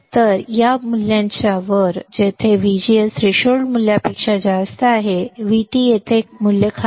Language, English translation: Marathi, So, above this value where VGS is greater than threshold value V T above the value here the bottom